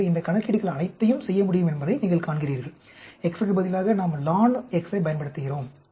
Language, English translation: Tamil, So, you see all these calculations can be done, instead of x we use lon x